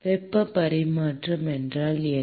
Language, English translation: Tamil, What is heat transfer